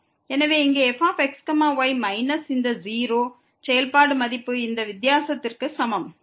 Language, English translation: Tamil, So, here minus this 0, the function value is equal to this difference